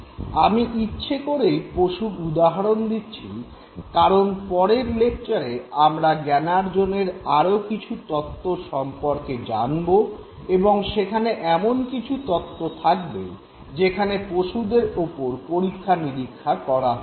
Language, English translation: Bengali, Deliberately I am taking example of animals, The reason being that in the next lecture we will come to various theories of learning and there we would be looking at the theory being actually based on experimentation done on animals